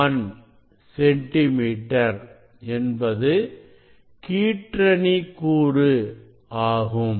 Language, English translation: Tamil, 001 centimeter so that will be the grating element